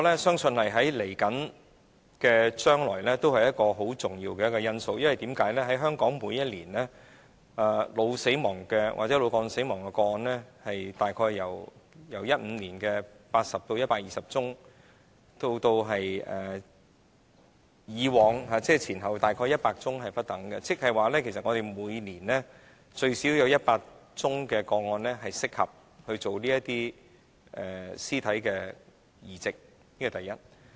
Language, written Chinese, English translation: Cantonese, 相信未來這是一個重要因素，因為香港每年腦死亡或腦幹死亡的個案，在2015年約有80宗至120宗，之前和之後每年約100宗不等，即是說其實香港每年最少有100宗個案適合進行屍體器官移植。, I believe that it will become a major factor in the future as in terms of brain death or brain stem death cases in Hong Kong there were about 80 to 120 cases in 2015 and about 100 cases per year around these few years which means that there are at least 100 cases suitable for cadaveric organ transplantation each year